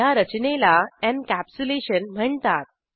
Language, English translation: Marathi, This mechanism is called as Encapsulation